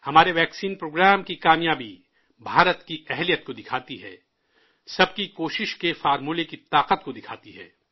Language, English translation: Urdu, The success of our vaccine programme displays the capability of India…manifests the might of our collective endeavour